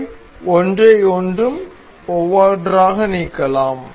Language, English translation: Tamil, We can delete each of them one by one